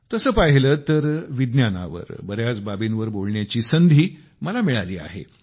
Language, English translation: Marathi, I have often spoken about many aspects of science